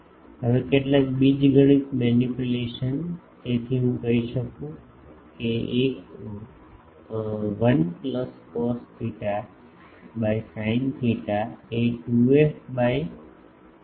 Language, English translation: Gujarati, Now, some more algebraic manipulation so, I can say 1 plus cos theta by sin theta is 2 f by rho